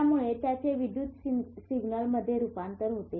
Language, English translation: Marathi, This converts it to electrical signal